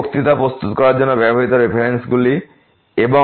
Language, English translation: Bengali, These are the references used for preparing these this lecture and